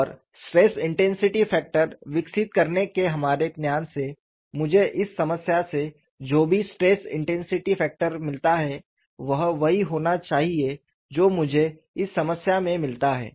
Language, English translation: Hindi, And from our knowledge of developing stress intensity factor, whatever the stress intensity factor I get out of this problem should be same as what I get in this problem